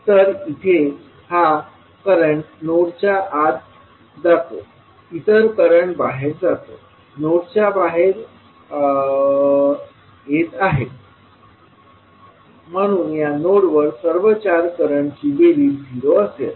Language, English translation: Marathi, So this is going, this is the current going inside the node, others are going outside, coming outside of the node so the summation of all 4 currents will be 0 at this node